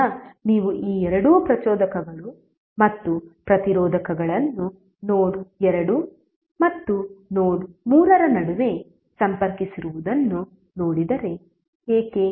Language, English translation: Kannada, Now if you see this two inductors and resistors both are connected between node 2 and node3, why